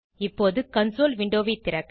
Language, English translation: Tamil, The console window opens on the screen